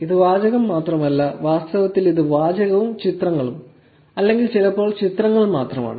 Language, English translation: Malayalam, It is not just text only; it is actually text and images or sometimes only images